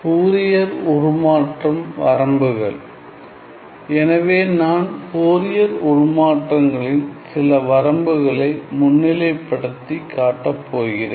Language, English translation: Tamil, So, let me just you know highlight some of the limitations of Fourier transforms